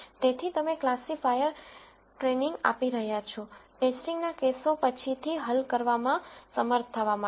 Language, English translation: Gujarati, So, you are training the classifier to be able to solve test cases later